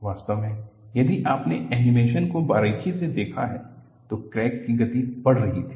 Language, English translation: Hindi, In fact, if you have closely looked at the animation, the crack speed was increasing